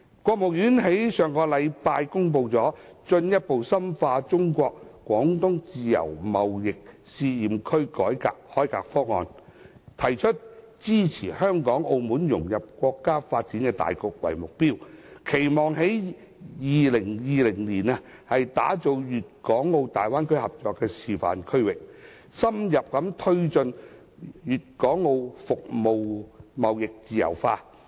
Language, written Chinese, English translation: Cantonese, 國務院在上周公布《進一步深化中國自由貿易試驗區改革開放方案》，提出支持香港和澳門融入國家發展大局的目標，期望在2020年打造出大灣區合作的示範區域，深入推進粵港澳服務貿易自由化。, Last week the State Council announced the Plan on Further Deepening Reform and Opening - up in the China Guangdong Pilot Free Trade Zone the Plan . The Plan spells out the objective of assisting Hong Kong and Macao in fitting into the countrys overall scheme of development and puts forth the vision of establishing a Bay Area Cooperation Demonstration Zone in 2020 to deepen liberalization of services and trade among Guangdong Hong Kong and Macao